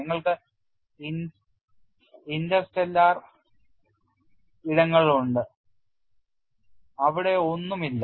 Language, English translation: Malayalam, You have interstellar spaces where nothing is present